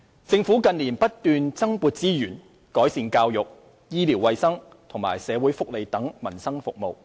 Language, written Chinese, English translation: Cantonese, 政府近年不斷增撥資源，改善教育、醫療衞生和社會福利等民生服務。, The Government has been increasing resource allocation in recent years to enhance services related to peoples livelihood such as education medical and health care and welfare